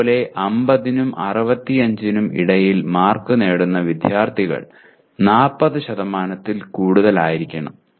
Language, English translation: Malayalam, Similarly, students getting between 50 and 65 marks should be more than 40%